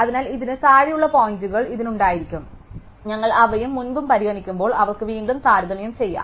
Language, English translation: Malayalam, So, this could have the points below this they could again compared when we consider those and before